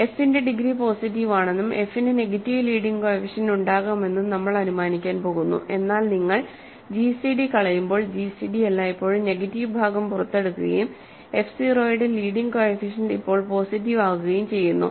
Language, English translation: Malayalam, We are going to assume that degree of f is positive and when you f may have negative leading coefficient, but when you clear out the gcd, gcd always picks out the negative part and f 0 now has leading coefficient positive